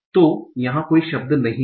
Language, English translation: Hindi, So there are no words